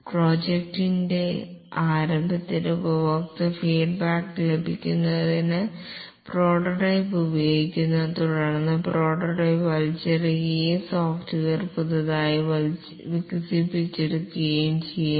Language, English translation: Malayalam, The prototype is used to get customer feedback, the start of the project and then the prototype is thrown away and the software is developed fresh